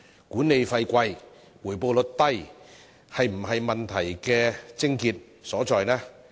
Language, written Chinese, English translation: Cantonese, 管理費高和回報率低是否問題的癥結所在呢？, Is the crux of the problem lies in its exorbitant management fees and low rates of return?